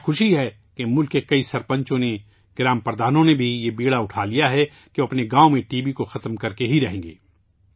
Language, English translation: Urdu, I am happy that many sarpanchs of the country, even the village heads, have taken this initiative that they will spare no effort to uproot TB from their villages